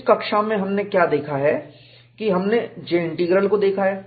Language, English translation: Hindi, So, in this class, what we have looked at is, we have looked at J Integral